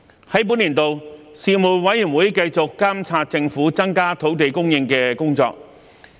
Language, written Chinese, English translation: Cantonese, 在本年度，事務委員會繼續監察政府增加土地供應的工作。, During this session the Panel continued to monitor the Governments efforts to increase land supply